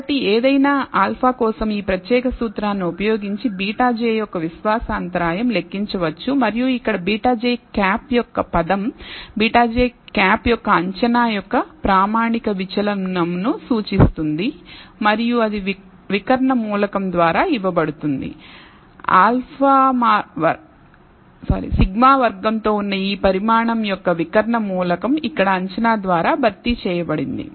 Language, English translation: Telugu, So, the confidence interval for beta j for any given alpha can be computed using this particular formula and the term here se of beta hat j represents the standard deviation of the estimate of beta hat j and that is given by the diagonal element, diagonal element here of this quantity with sigma square replaced by the estimate here